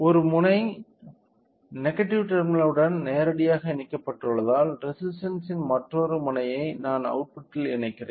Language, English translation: Tamil, Since one end is directly connected to the negative terminal other end of the resistor I am connecting it to the output